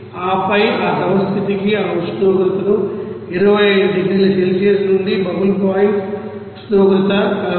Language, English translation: Telugu, And then what will be the heat required for that liquid state to raise this the temperature from 25 degrees Celsius to you know bubble point temperature of 62